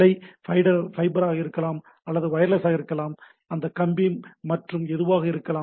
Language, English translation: Tamil, It can be fiber, it can be wireless, it can be wired and anything, right